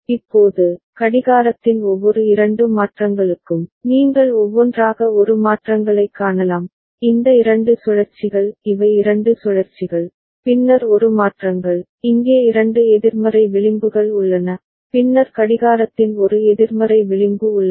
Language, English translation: Tamil, Now, for every two change in the clock, you can see A changes by one, these two cycles these are the two cycles, then A changes by, there are two negative edges here, then there is one negative edge of the clock ok